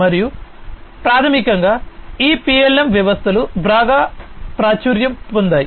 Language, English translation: Telugu, And there are so basically these PLM systems are quite popular